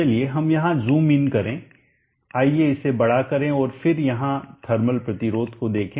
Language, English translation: Hindi, Let us zoom in here, let us magnify this and then look at the thermal resistance here